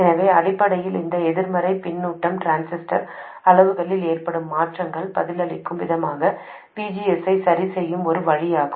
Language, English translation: Tamil, So essentially this negative feedback is a way of adjusting the VGS in response to changes in transistors parameters